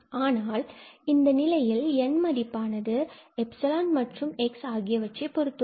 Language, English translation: Tamil, So, we can choose such N but the problem is that this N depends on epsilon and it depends on x as well